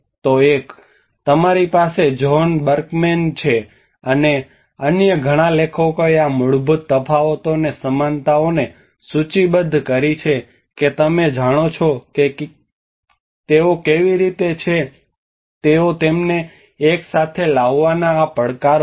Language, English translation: Gujarati, So one is you have John Berkman, and many other authors have listed out these are the fundamental differences and similarities you know how they are they have these challenges bringing them together